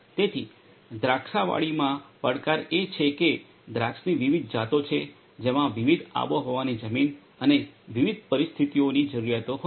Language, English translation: Gujarati, So, the challenge in vineyards is that there are different varieties of grapes which will have requirements for different climatic soil and different you know conditions